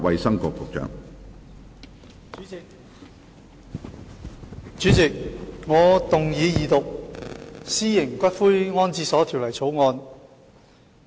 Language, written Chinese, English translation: Cantonese, 主席，我動議二讀《私營骨灰安置所條例草案》。, President I move the Second Reading of the Private Columbaria Bill the Bill